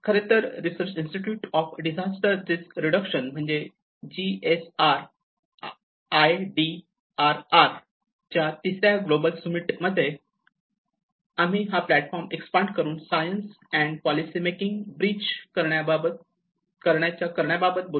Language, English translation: Marathi, So, in fact the Third Global Summit of research institutes of disaster risk reduction where we call it GSRIDRR and this is where they talk about the expanding the platform for bridging science and policy make